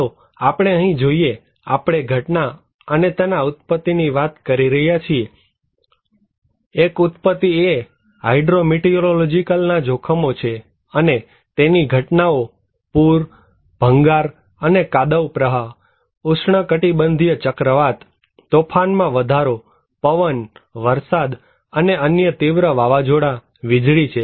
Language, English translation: Gujarati, Let us look here, we are talking in the origin and the phenomena; one origin is hydro meteorological hazards and the phenomena’s are flood, debris and mudflows, tropical cyclones, storm surge, wind, rain and other severe storms, lightning